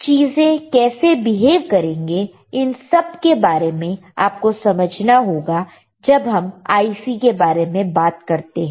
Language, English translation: Hindi, How things will behave rights of these are all the things that you do understand, when you are looking at the IC